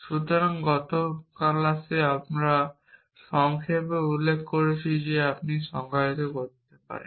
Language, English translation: Bengali, So, in the last class, we had briefly mentioned that you could define